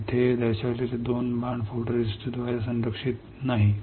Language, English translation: Marathi, These 2 arrows shown here is not protected by the photoresist